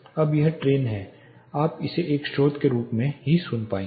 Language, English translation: Hindi, Now this train again you will be able to hear this is one single source